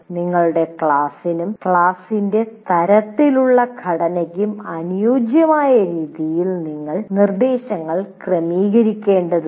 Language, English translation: Malayalam, And now you will have to adjust your instruction to suit your class, the kind of, or the composition of your class